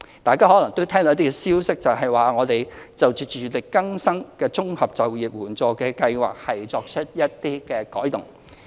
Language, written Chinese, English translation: Cantonese, 大家可能聽到一些消息指，我們就社署委託非政府機構營運的自力更生綜合就業援助計劃會作出一些改動。, Members may have heard some news claiming that there will be some changes in the Integrated Employment Assistance Programme for Self - reliance IEAPS run by non - governmental organizations NGOs commissioned by SWD